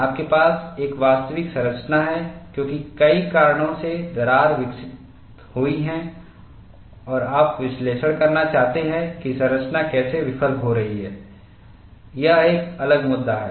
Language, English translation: Hindi, You have a actual structure, because of several reasons, cracks are developed and you want to analyze how the structure is going to fail, that is a different issue